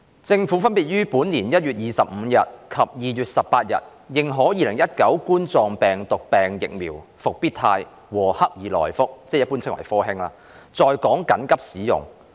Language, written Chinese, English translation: Cantonese, 政府分別於本年1月25日及2月18日認可2019冠狀病毒病疫苗"復必泰"和"克爾來福"在港緊急使用。, The Government authorized the Coronavirus Disease 2019 COVID - 19 vaccines Comirnaty and CoronaVac on 25 January and 18 February this year respectively for emergency use in Hong Kong